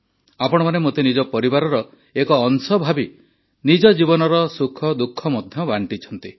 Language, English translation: Odia, Considering me to be a part of your family, you have also shared your lives' joys and sorrows